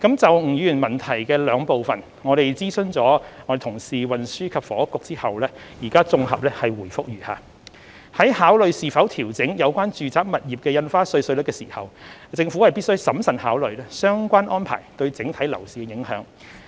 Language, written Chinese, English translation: Cantonese, 就吳議員質詢的兩部分，經諮詢運輸及房屋局後，現綜合答覆如下：在考慮是否調整有關住宅物業的印花稅稅率時，政府必須審慎考慮相關安排對整體樓市的影響。, In consultation with the Transport and Housing Bureau my consolidated reply to the two parts of the question raised by Mr NG is as follows In considering whether stamp duty rates concerning residential properties should be adjusted the Government must carefully take into account the impact of relevant arrangements on the property market as a whole